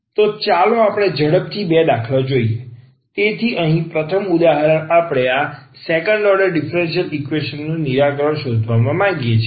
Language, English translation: Gujarati, So let us go through a quickly a two examples, so the first example here we want to find the solution of this second order differential equation